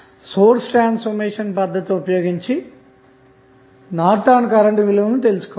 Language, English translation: Telugu, We can utilize our source transformation technique and then we can find out the values of Norton's current